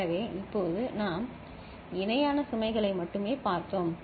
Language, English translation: Tamil, So, right now we have seen parallel load only